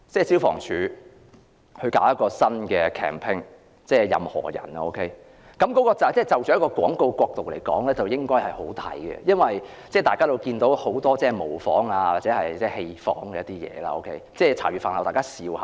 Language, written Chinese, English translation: Cantonese, 消防處最近推出一個代言人名叫"任何仁"，從廣告角度來看，這是很好的，因為大家也看到現已有不少模仿或戲仿出現，並成為大家茶餘飯後的話題。, The Fire Services Department FSD has recently launched a character called Anyone which is pretty successful from a promotional perspective . As we can see the character has attracted numerous imitations or parody and has become the topic of discussion over meals